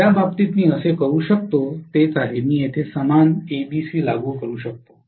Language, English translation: Marathi, In which case what I can do is, I can apply the same ABC here